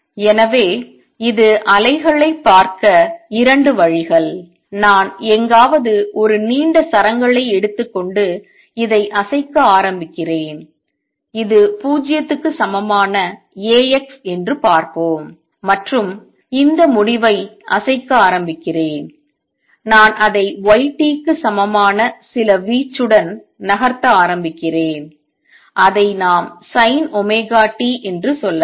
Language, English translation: Tamil, So, this is 2 ways of looking at the wave; suppose I take a long strings tide somewhere and start shaking this and let see this is A x equal to 0 and start shaking this end and I start moving it with y t equals some amplitude let us say sin omega t